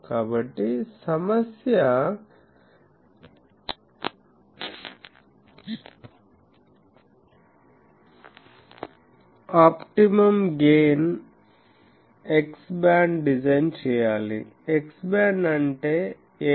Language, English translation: Telugu, So, the problem is design an optimum gain x band, x band means 8